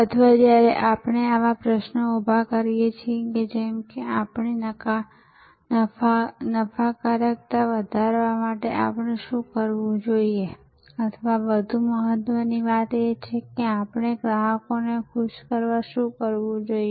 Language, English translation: Gujarati, Or when we raise such questions like, what should we do to increase our profitability or more importantly what should we do to delight more customers